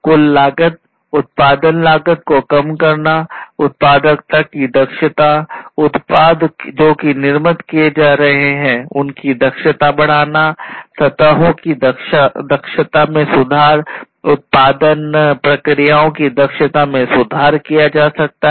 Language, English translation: Hindi, Reducing the overall cost, cost of production; increasing the efficiency, efficiency of productivity, efficiency of the product, that is being done that is being manufactured, the improving the efficiency of the surfaces, efficiency of the production processes can also be improved